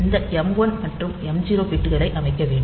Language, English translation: Tamil, So, we have to set this m 1 and m 0 bits